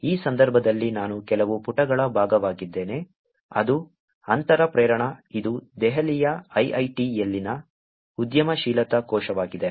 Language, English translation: Kannada, In this case I am part of some pages which is Antara Prerana, which is the entrepreneurship cell at IIIT, Delhi